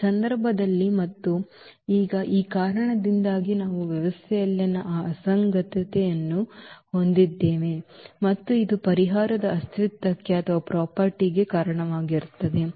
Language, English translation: Kannada, In this case and now because of this we have this inconsistency in the system and which leads to the nonexistence of the solution